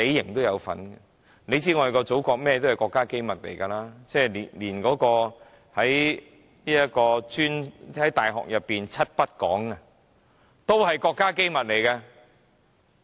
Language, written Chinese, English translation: Cantonese, 大家也知道祖國的一切都是國家機密，大學裏的"七不講"都是國家機密。, As we all know everything in the Motherland is state secret . The seven forbidden topics in universities are also state secret